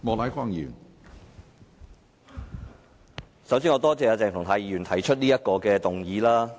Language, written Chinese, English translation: Cantonese, 首先，我要多謝鄭松泰議員提出這項議案。, First of all I wish to thank Dr CHENG Chung - tai for proposing this motion